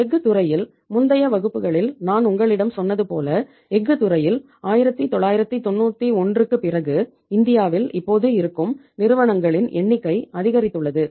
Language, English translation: Tamil, In the steel sector you see I told you in the previous classes also sometimes little bit not more that in the steel sector we have number of companies working now in India after 1991